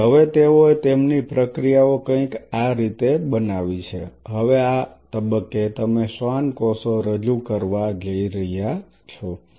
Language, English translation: Gujarati, So, now, they have formed their processes something like this, now at this stage you are about to introduce the Schwann cells